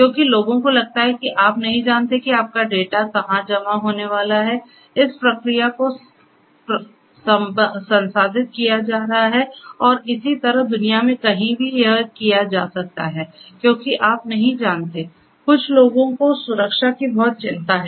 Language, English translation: Hindi, Because people think that you do not know where your data is going to be stored is going to be processed and so on, anywhere in the world it could be done and because you do not know some people have lot of concerns about the security of the data, the privacy of data and so on